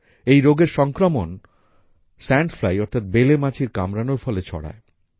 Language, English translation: Bengali, The parasite of this disease is spread through the sting of the sand fly